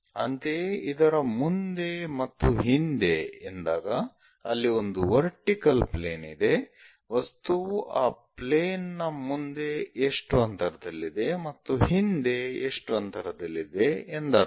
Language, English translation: Kannada, If something like in front and behind, there is a vertical plane in front of that plane how far that objective is present, behind the plane how far that objective is present